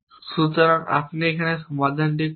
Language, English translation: Bengali, So, how do we solve